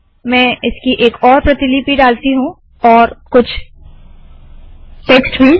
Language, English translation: Hindi, Let me put one more copy of this, some more text